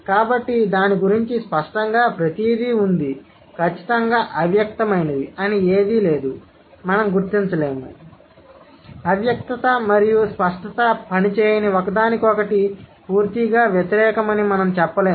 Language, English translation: Telugu, Since there is nothing called absolutely implicit, we cannot figure out, we cannot claim that implicitness and explicitness are absolutely opposite to each other